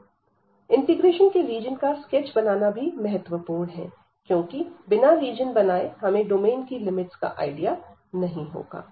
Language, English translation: Hindi, And the sketch of region of this integration is important, because without sketching the region we cannot get the idea of the limits of the domain